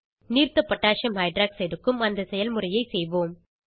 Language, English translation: Tamil, Lets repeat the process for Aqueous Potassium Hydroxide(Aq.KOH)